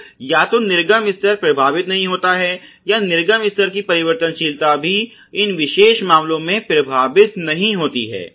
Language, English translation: Hindi, So, either the output level is not influenced or even the variability of the output level also is not influenced in these particular cases